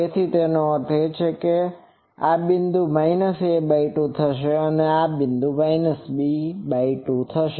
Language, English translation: Gujarati, So that means, this point will be minus a by 2 and this point will be minus b by 2